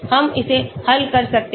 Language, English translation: Hindi, We can solve this